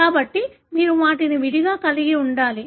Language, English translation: Telugu, So, you need to have them separately